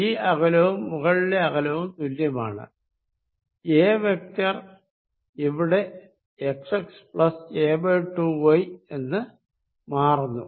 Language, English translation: Malayalam, This distance and upper distance is the same, a vector out here changes x x plus a by 2 y